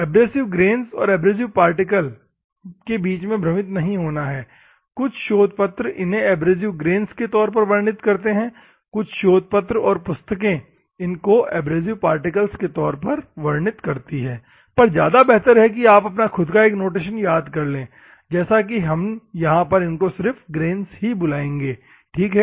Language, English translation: Hindi, The abrasive grains or abrasive particles there do not confuse between abrasive grains and abrasive particles some of the papers they will explain in terms of abrasive grains, some of the papers or textbooks follow abrasive particles, but better if you have your own notation some of the papers they will say like a grains only, ok